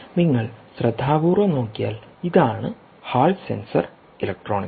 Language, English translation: Malayalam, if you look carefully, this is the hall sensor electronics